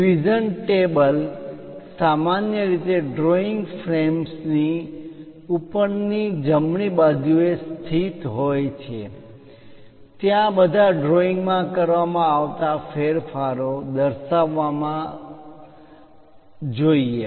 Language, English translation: Gujarati, A revision table is normally located in the upper right of the drawing frame all modifications to the drawing should be documented there